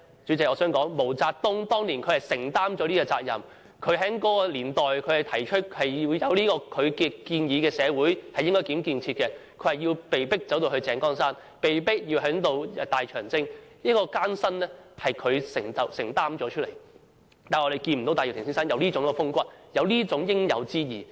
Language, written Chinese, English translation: Cantonese, 主席，我想說毛澤東當年是承擔了這個責任，他在那個年代提出應如何建設社會的建議，他被迫走到井崗山，被迫進行大長征，承擔了當中的艱辛，但我們看不見戴耀廷先生有這種風骨，有這種應有之義。, President I wish to say that back then MAO Zedong assumed the responsibility . He put forward a proposal on how to develop society in that era and was forced to run to The Jinggang Mountains and embark on the Long March thus enduring the hardships that arose . However we cannot see this kind of strength of character and righteousness in Mr Benny TAI